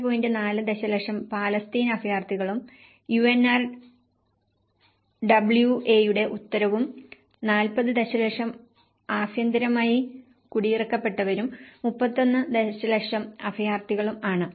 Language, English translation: Malayalam, 4 million Palestine refugees and UNRWAís mandate and the 40 million internally displaced people and 31 million asylum seekers